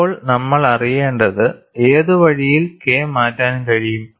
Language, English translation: Malayalam, Now, what we will have to know is what way K can change